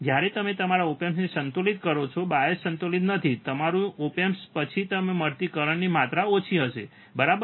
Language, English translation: Gujarati, When you balanced your op amp, not bias balance, your op amp, then the small amount of current that you find, right